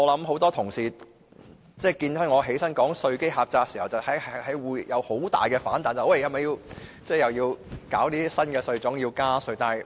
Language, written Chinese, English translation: Cantonese, 很多同事聽到我說稅基狹窄時會有很大的反彈，擔心是否要設立新稅種或加稅。, My remarks on a narrow tax base triggered backlash from many Members they are worried whether new types of tax or higher tax rates will be introduced